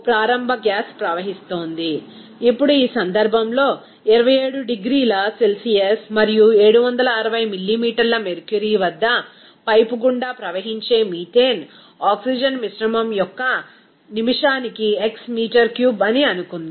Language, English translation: Telugu, Now, in this case, very interesting that let us assume that x meter cube per minute of methane oxygen mixture that flows through the pipe at 27 degrees Celsius and 760 millimeter mercury